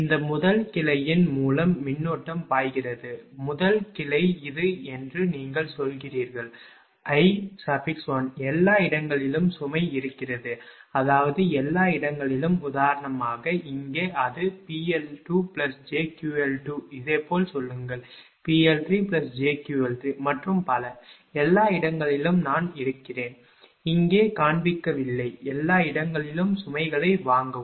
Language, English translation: Tamil, And current flowing through this first branch, very first branch this is you say I 1 everywhere load is there, I mean everywhere for example, here it is P l 2 plus j Q l 2 say similarly here, P l 3 plus j Q l 3 and so on, everywhere loads are there I am not showing here, buy everywhere loads are there